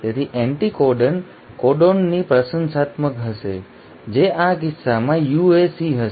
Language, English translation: Gujarati, So the anticodon will be complimentary to the codon, which will, in this case will be UAC